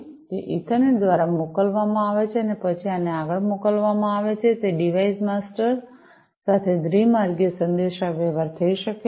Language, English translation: Gujarati, It is sent through the Ethernet and then this is sent further to it can be two way communication to the device master, to the device master